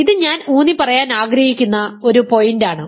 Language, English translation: Malayalam, So, this is a point I want to emphasize